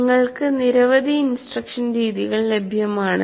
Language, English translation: Malayalam, But a large number of instruction methods is available